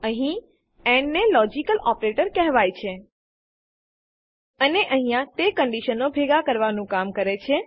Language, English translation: Gujarati, Here AND is called a logical operator, and here it serves to combine conditions